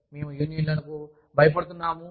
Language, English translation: Telugu, We are scared of unions